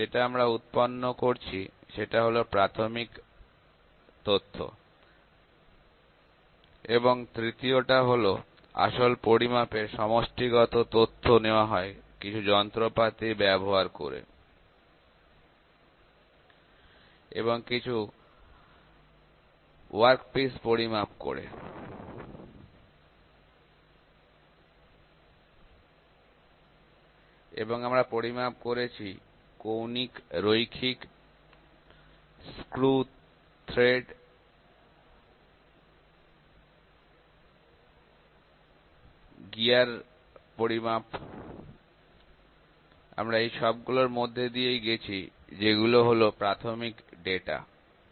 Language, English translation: Bengali, In this course so whatever we have been studying till now who was the primary data; the data that we generate it was the primary data and the third was all collective taking the actual measurements using some instruments and measuring some workpieces and we measured angular, linear, screw thread, gear metrology; we went through all those things that was all primary data